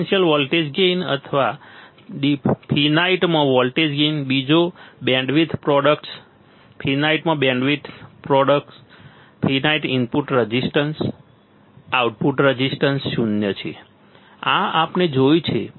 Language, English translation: Gujarati, Differential voltage gain or voltage gain in finite, second bandwidth product bandwidth products in finite, input resistance in finite, output resistance zero right, this is what we have seen